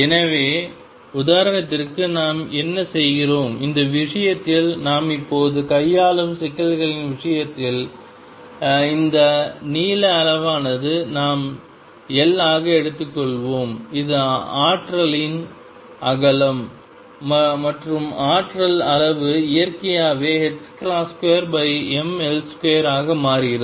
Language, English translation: Tamil, So, what we do for example, in this case in the case of the problems that we are dealing with right now is that length scale we will take to be L that is the width of the potential and the energy scale naturally becomes h cross square over ml square